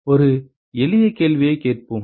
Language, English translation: Tamil, Let us ask a simpler question